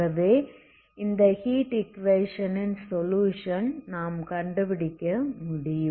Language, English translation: Tamil, How we derived this heat equation